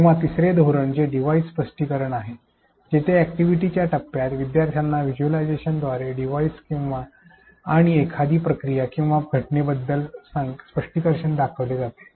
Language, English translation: Marathi, Or strategy 3 which is device explanation where, during the activity phase the students device and explanation for a given process or phenomenon which was shown to them through visualization